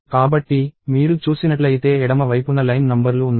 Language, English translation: Telugu, So, on the left side if you see there are line numbers